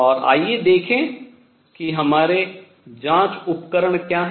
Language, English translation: Hindi, And let us see what are our investigation tools